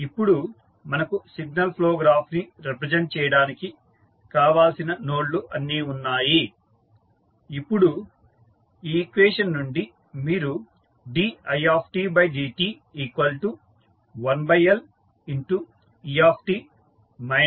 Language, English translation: Telugu, So, now you have got all the nodes which are required to represent the signal flow graph